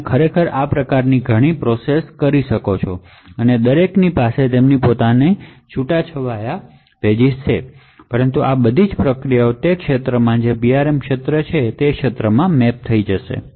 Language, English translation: Gujarati, So, therefore you could actually have multiple processes like this each of them having their own enclaves but all of this processes would mapped to the same region within the Ram that is the PRM region